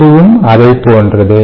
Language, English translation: Tamil, this is similar to that